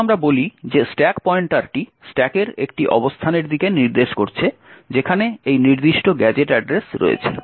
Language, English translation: Bengali, Now let us say that the stack pointer is pointing to a location in the stack which contains this particular gadget address